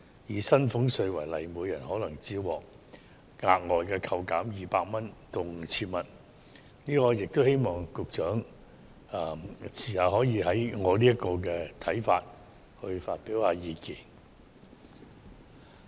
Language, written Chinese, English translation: Cantonese, 以薪俸稅納稅人為例，每人可能只獲額外扣減200元至 5,000 元，我希望局長稍後可以就我的看法來發表意見。, Let us take taxpayers who need to pay salaries tax as an example; each person will get extra tax reduction ranging from 200 to 5,000 . I hope the Secretary will respond to my view later on